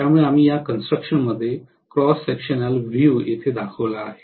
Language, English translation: Marathi, So we are going to have this construction the cross sectional view I have shown here